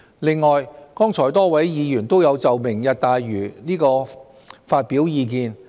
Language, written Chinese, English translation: Cantonese, 另外，剛才多位議員均有就"明日大嶼"發表意見。, Moreover just now various Members expressed their views on Lantau Tomorrow